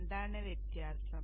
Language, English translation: Malayalam, What is the difference